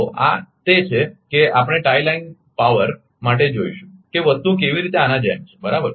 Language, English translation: Gujarati, So, this is we will see for the tie line power how things are like this right